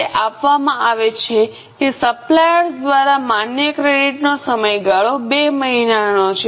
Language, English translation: Gujarati, It is given that period of credit allowed by suppliers is two months